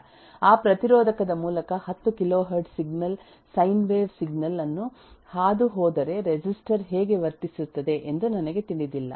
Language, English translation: Kannada, I do not know how does a resistor behave if a 10 kilohertz eh signal sin wave signal is passed through that resistor and so on